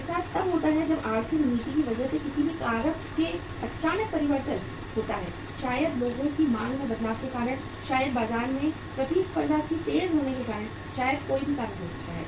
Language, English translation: Hindi, That happens if sudden uh change takes place in any of the factors maybe because of economic policy, maybe because of change in the demand of the people, maybe because of the intensification of the competition in the market, maybe any reason could be there